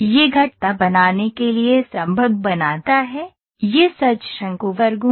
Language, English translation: Hindi, It makes it possible to create curves, that are true conic sections